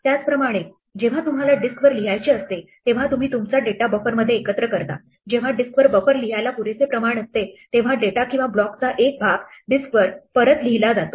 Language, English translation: Marathi, Similarly, when you want to write to the disk you assemble your data in the buffer when the buffer is enough quantity to be written on the disk then one chunk of data or block is written back on the disk